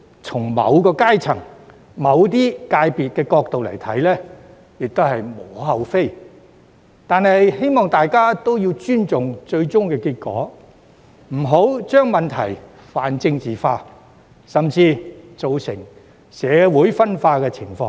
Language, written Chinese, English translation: Cantonese, 從某些階層或界別的角度來看，有關做法可能無可厚非，但我希望大家尊重最終結果，不要將問題泛政治化，甚至造成社會分化的現象。, While certain social strata or sectors may find this understandable I hope that Members will respect the final outcomes instead of pan - politicizing the issues or even causing social division